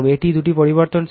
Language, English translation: Bengali, these two are variable